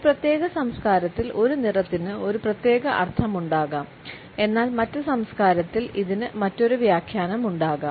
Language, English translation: Malayalam, A color may have a particular meaning in a particular culture, but in the other culture it may have a different interpretation